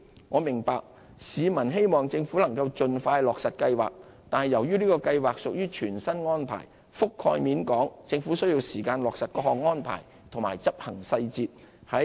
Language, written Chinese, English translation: Cantonese, 我明白市民希望政府能盡快落實計劃，但由於這計劃屬全新安排，覆蓋面廣，政府需時落實各項安排和執行細節。, I understand that the public would like to see the expeditious implementation of the Scheme by the Government . However given the brand new nature of the Scheme and its wide coverage the Government needs time to finanlize all the arrangements and execution details